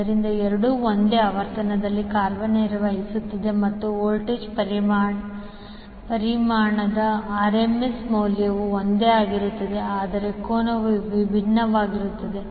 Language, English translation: Kannada, So, both are operating at same frequency but the and also the RMS value of the voltage magnitude is same, but angle is different